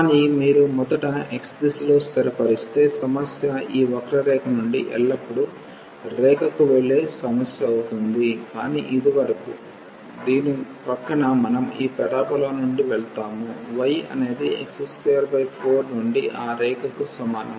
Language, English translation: Telugu, But, if you first fix in the direction of x; so, if we first fix in the direction of x, then the problem will be that going from this curve to the line always, but up to this point; next to this we will be going from this parabola y is equal to x square by 4 to that line